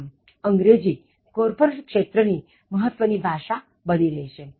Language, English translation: Gujarati, So, English has also become a dominant corporate language